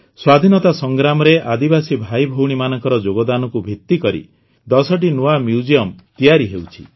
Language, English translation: Odia, Ten new museums dedicated to the contribution of tribal brothers and sisters in the freedom struggle are being set up